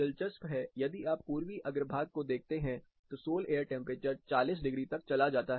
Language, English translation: Hindi, Interestingly, if you notice the eastern façade, the sol air temperature goes as high as 40 degrees